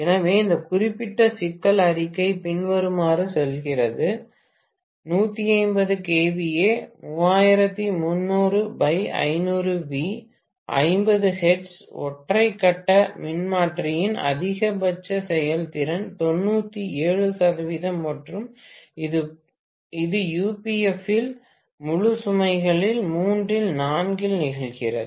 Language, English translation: Tamil, So, this particular problem statement goes as follows: the maximum efficiency of a 150 kVA 3300 by 500 volts, 50 hertz single phase transformer is 97 percent and occurs at three fourth of full load at unity power factor